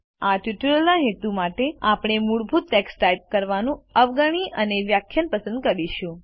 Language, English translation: Gujarati, For the purposes of this tutorial, we shall skip typing the default text and select a lecture